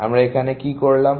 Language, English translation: Bengali, What have we done